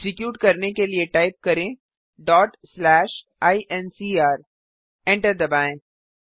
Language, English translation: Hindi, To execute Type ./ incr.Press Enter